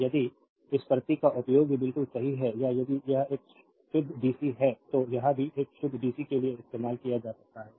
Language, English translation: Hindi, So, if you use this symbol also absolutely correct or if it is a pure dc then this one this one also can be used for a pure dc